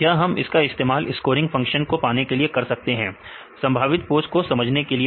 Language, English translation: Hindi, Its available in the literature we can use to get the scoring functions as well as to understand the probable pose